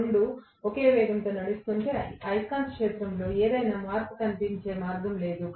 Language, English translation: Telugu, If both of them are running at the same speed, there is no way it would see any change in the magnetic field